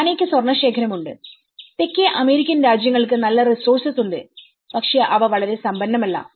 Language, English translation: Malayalam, Ghana have the gold reserves the South American countries have good resource but they are not very rich